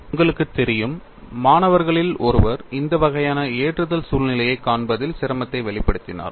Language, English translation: Tamil, You know one of the students expressed a difficulty in visualizing this kind of a loading situation